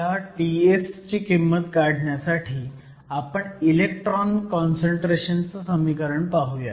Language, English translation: Marathi, In order to calculate the value of T s, we look at the expression for the electron concentration